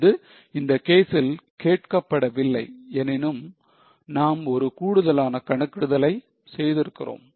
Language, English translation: Tamil, Though it was not asked in the case, I have just made one more calculation in case